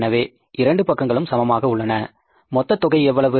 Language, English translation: Tamil, So, both the sides are equal